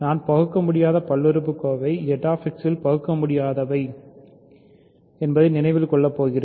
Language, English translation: Tamil, So, I am going to take an irreducible polynomial remember irreducible in Z X